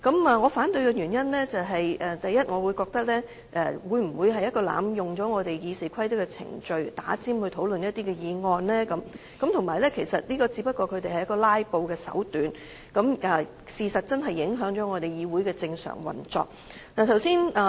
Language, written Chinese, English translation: Cantonese, 我反對的原因，首先，我覺得這會否與有人濫用我們《議事規則》的程序，插隊提出議案討論，而且這只不過是他們"拉布"的手段，事實是議會正常運作真的受到影響。, The reason for my opposition is that first of all I doubt if this is related to the abuse of our Rules of Procedure . Some Members have just resorted to filibuster tactics by jumping the queue to table their motions . Actually the normal operation of the legislature is affected